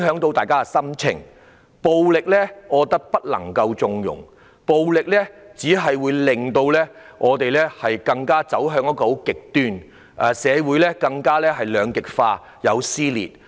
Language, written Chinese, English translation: Cantonese, 暴力絕對不能縱容，暴力只會令我們走向極端，令社會更加兩極化和撕裂。, We should absolutely not connive at violence as it will only drive us to the extremes and make society more polarized and torn apart